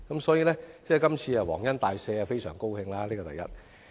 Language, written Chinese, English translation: Cantonese, 所以，這次"皇恩大赦"，業界非常高興，這是第一點。, Therefore the trades are extremely happy about this benevolent measure . This is the first point